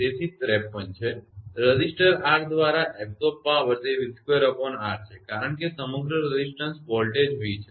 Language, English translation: Gujarati, So, it is 53 therefore, the power absorbed by the resistor R is it is v square by R because across the resistance voltage is v